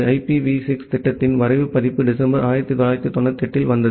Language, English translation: Tamil, The draft version of IPv6 proposal it came sometime in December 1998